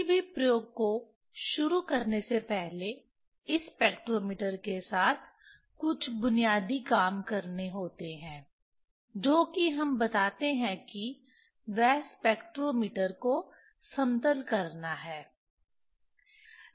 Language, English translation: Hindi, Before starting any experiment, there are some basic works has to be done with this spectrometer, which is we tell that is leveling of the spectrometer